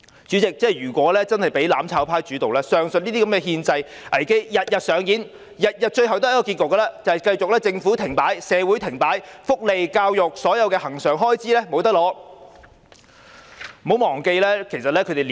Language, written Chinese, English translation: Cantonese, 主席，如果真的由"攬炒派"主導，上述憲制危機便會天天上演，每天的結局只會是政府停擺、社會停擺，福利、教育及所有恆常開支也無法取得。, Chairman if the mutual destruction camp becomes the mainstay the aforesaid constitutional crisis will take place on a daily basis resulting in a standstill of the Government and society . All the recurrent expenditures including those on welfare and education will become unobtainable